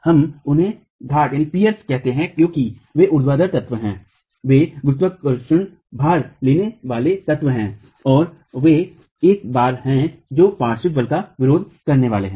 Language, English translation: Hindi, We call them peers because they are the vertical elements, they are the gravity load carrying elements and they are the ones who are going to be resisting the lateral force